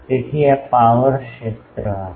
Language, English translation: Gujarati, So, this will be the power field